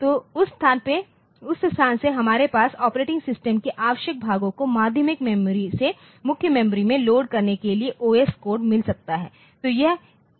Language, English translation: Hindi, So, from that location we can have the OS code for loading the essential portions of the operating system from secondary storage to the main memory